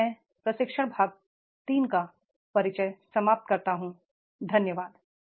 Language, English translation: Hindi, So here I conclude the introduction to the training part three